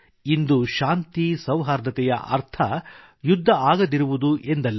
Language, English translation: Kannada, Today, peace does not only mean 'no war'